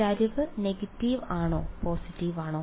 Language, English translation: Malayalam, The slope is negative or positive